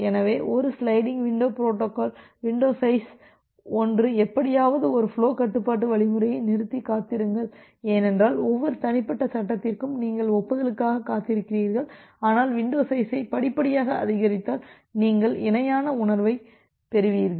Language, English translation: Tamil, So, a sliding window protocol window size 1 is somehow synonymous to a stop and wait flow control algorithm, because for every individual frame you are waiting for the acknowledgement, but if you increase the window size gradually you will get the feel of parallelism